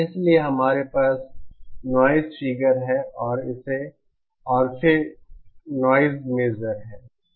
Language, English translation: Hindi, So we have noise figure and then noise measure